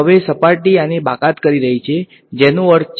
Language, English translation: Gujarati, And now the surface is excluding this that is the meaning of s over here ok